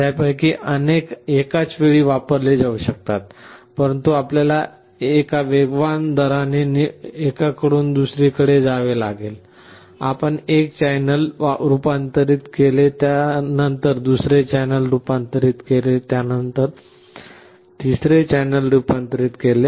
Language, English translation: Marathi, Multiple of them can be used simultaneously, but you will have to switch from one to other at a very fast rate; you convert one channel then converts second channel, then convert third channel